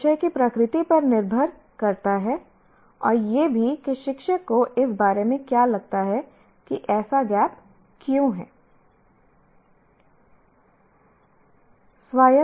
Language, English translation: Hindi, It depends on the nature of the subject and also the what the teacher feels about why that such a gap exists